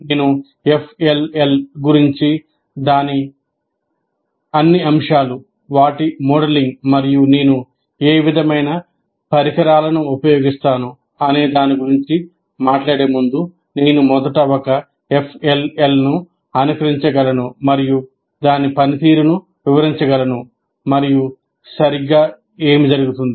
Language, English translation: Telugu, That is, before I talk about FLL, in terms of all its elements, their modeling, and what kind of devices that I use, even before that, I can first simulate an FLL and explain its function what exactly happens